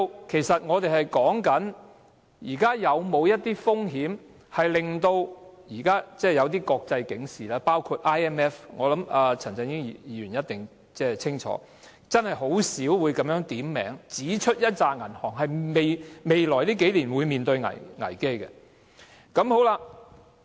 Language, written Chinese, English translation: Cantonese, 其實，我們要討論的是，香港現時是否正面對這些風險，包括 IMF—— 我相信陳振英議員一定清楚明白——等機構真的很少會點名指出某些銀行在未來數年會面對危機。, In fact what we should be discussing is whether Hong Kong is currently facing these risks ie . international warnings―I believe Mr CHAN Chun - ying must clearly understand all these―it is really rare for bodies such as IMF to identify certain banks that might face a crisis in the coming years